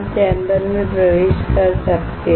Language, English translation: Hindi, Can enter the chamber